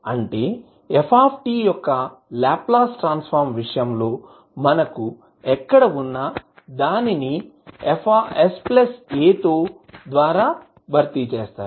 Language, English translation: Telugu, That means that wherever we have s in case of the Laplace transform of f t, we will replace it by s plus a